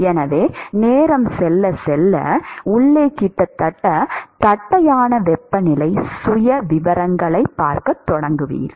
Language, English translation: Tamil, And so, as time goes by, so you will start seeing temperature profiles which are almost flat inside